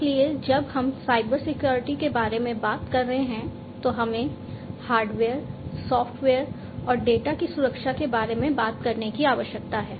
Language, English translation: Hindi, So, when we are talking about Cybersecurity we need to talk about how to protect the hardware, how to protect the software and how to protect the data